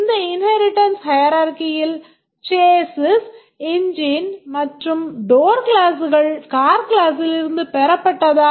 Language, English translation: Tamil, Does it appear all right this inheritance hierarchy that chassis engine door are derived from the car class